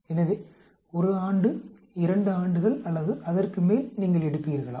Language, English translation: Tamil, So, will you take 1 year, 2 years or more than that